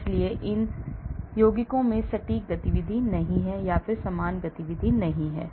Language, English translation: Hindi, so these compounds have similar activity not exact activity, similar activity